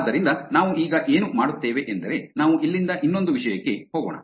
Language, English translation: Kannada, So, what we will do now is we will move on to another topic from here